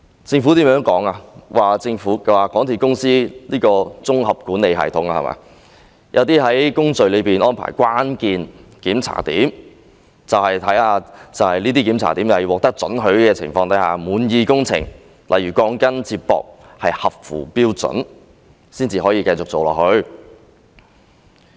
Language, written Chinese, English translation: Cantonese, 政府說根據香港鐵路有限公司的項目綜合管理系統，在工序中會安排關鍵檢查點，在這些檢查點必須獲得准許或對工程滿意的情況下，例如鋼筋接駁合乎標準，才可以繼續進行工程。, The Government said that in accordance with the Project Integration Management System of the MTR Corporation Limited MTRCL there are a number of hold points in the construction process and at these hold points the contractor can proceed with the construction works only when an approval is given or the works are considered satisfactory such as when the connection of rebars is up to standard